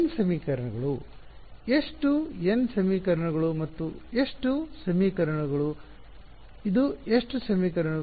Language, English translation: Kannada, n equations, how many n equations and how many equations, how many equations is this